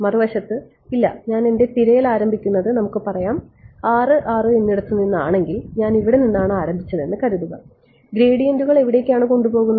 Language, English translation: Malayalam, On the other hand, supposing I said no I will start my search from let us say (6,6) supposing I have start from here where do was the gradients taking